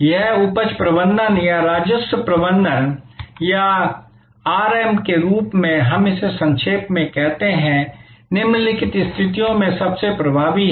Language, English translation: Hindi, This yield management or revenue management or RM as we call it in short is most effective in the following conditions